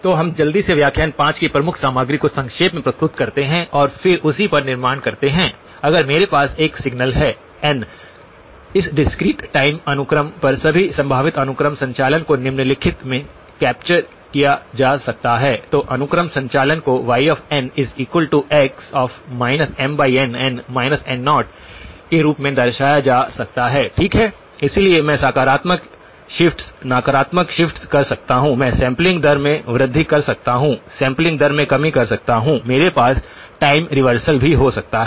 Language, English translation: Hindi, So, let us quickly summarize the key contents of lecture 5 and then build on that so the; if I have a signal x of n, all possible sequence operations on this discrete time sequence can be captured in the following, sequence operations can be represented as y of n equal to x of plus minus M by N times n plus minus N naught, okay so I can have positive shifts, negative shifts, I can have increase in sampling rate, decrease in sampling rate, I can have time reversal as well